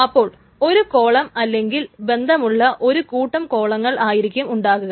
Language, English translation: Malayalam, So either a column or a set of related columns together